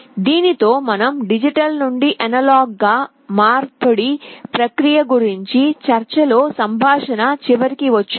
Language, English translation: Telugu, With this we come to the end of this lecture where we had discussed the process of digital to analog conversion